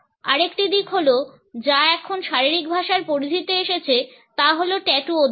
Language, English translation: Bengali, Another aspect which has come under the purview of body language now is the study of tattoos